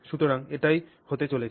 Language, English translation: Bengali, So this happens